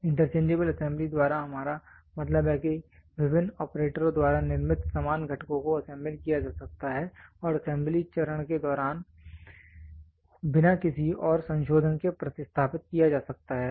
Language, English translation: Hindi, By interchangeable assembly we means that identical components manufactured by different operators can be assembled and replaced without any further modification during the assembly stage